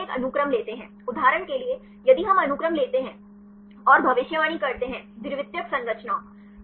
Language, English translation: Hindi, They first take a sequence; for example, if we take the sequence and predict; the secondary structures